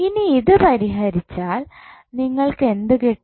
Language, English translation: Malayalam, Now, if you solve it what you will get